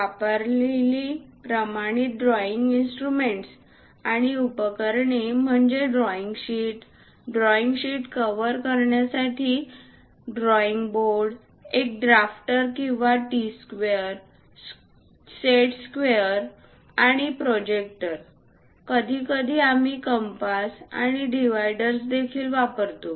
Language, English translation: Marathi, The standard drawing instruments and accessories used are drawing sheets , a drawing board to cover drawing sheet, a drafter or a T square, set squares, and protractor; occasionally, we use compasses and dividers also